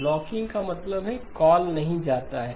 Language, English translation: Hindi, Blocking means the call does not go through